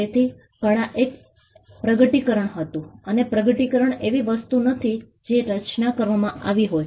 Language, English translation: Gujarati, So, art was a discovery and discovery is not something that was created